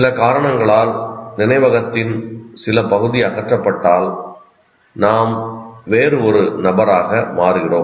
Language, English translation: Tamil, If the some part of the memory for some reason is removed, then we become a different individual